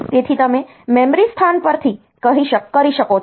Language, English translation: Gujarati, So, you can from memory location